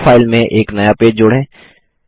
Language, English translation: Hindi, Lets add a new page to the Draw file